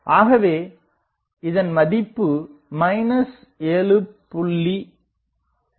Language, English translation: Tamil, So, that will be 0